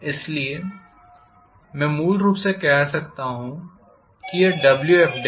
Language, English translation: Hindi, So I can say basically this is dWf dash